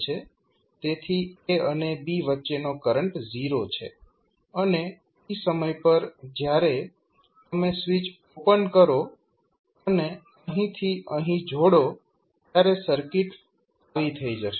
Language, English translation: Gujarati, So, your current between a and b is 0 and when you at time t is equal to you open the switch and connect from here to here the circuit will become like this